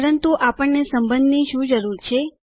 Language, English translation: Gujarati, But why do we need relationships